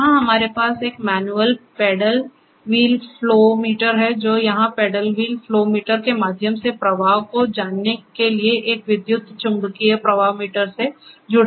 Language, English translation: Hindi, So, here we have a manual paddle wheel flow meter which is connected to an electromagnetic flow meter for knowing the flow through the paddle wheel flow meter here